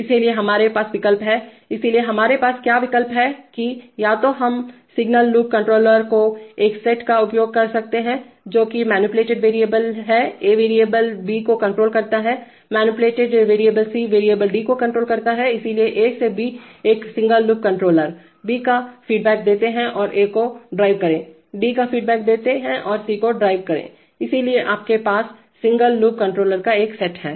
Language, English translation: Hindi, So we have options, so what are our options that either we could use a set of single loop controllers, that is manipulated variable A controls variable B, manipulated variable C controls variable D, so A to B one single loop controller, give feedback of B and drive A, give feedback of D drive C, so you have a number of set of single loop controllers